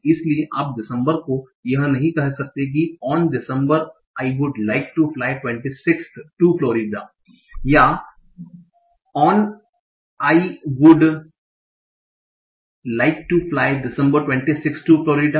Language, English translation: Hindi, So you cannot say on December I would like to fly 26 to Florida or on I would like to fly December 26 to Florida